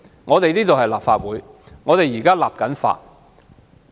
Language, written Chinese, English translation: Cantonese, 我們是立法會，現正進行立法。, We in the Legislative Council are now enacting laws